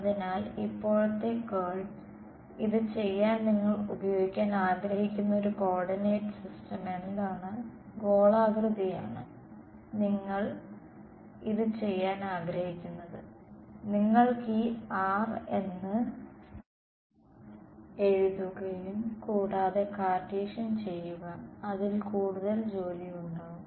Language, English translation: Malayalam, So, curl of a now, what is a coordinate system in which you would want to do this, spherical is what you would want to do this in right you could as also write this as r as square root x square plus y square plus z square and do it in Cartesian that would be a lot more work